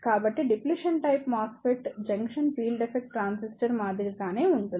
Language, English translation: Telugu, So, the Depletion type MOSFET is similar to the Junction Field Effect Transistor